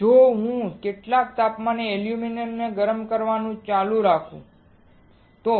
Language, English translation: Gujarati, If I keep on heating the aluminum at some temperature, right